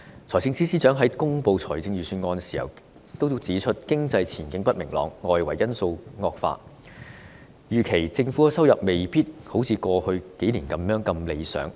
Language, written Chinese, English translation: Cantonese, 財政司司長在公布預算案時指出，經濟前景不明朗，外圍因素惡化，預期政府收入未必如過去數年般理想。, When the Financial Secretary announced the Budget he pointed out that with uncertain economic outlook and adverse external factors it was expected that government revenues might not be as promising as that in the past few years